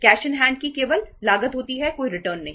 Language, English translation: Hindi, Cash in hand only has a cost, no returns